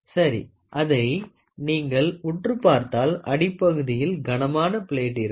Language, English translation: Tamil, So, if you look at it, on the bottom side of this, this is a very heavy plate